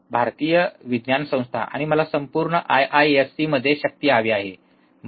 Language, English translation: Marathi, Indian Institute of Science, and I want to have power across whole IISC, right